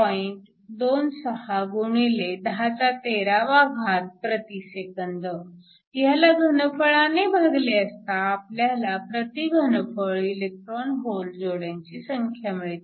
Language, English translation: Marathi, 26 x 1013 S 1, if you divide this by the volume you can get the number of electron hole pairs per unit volume